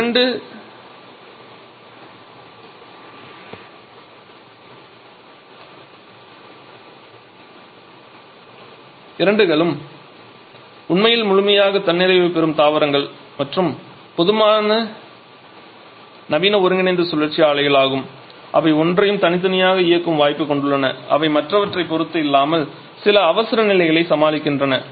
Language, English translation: Tamil, So, both the plants are actually fully self sustaining planned and they are generally modern combined cycle plants have the option of running each of them individually without depending on the other also just to tackle certain emergencies